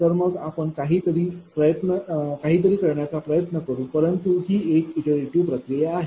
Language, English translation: Marathi, So, that then we will try to see something, but look this is an iterative process